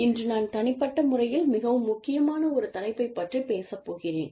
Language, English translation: Tamil, And, today, we will talk about a topic, that is very important to me, personally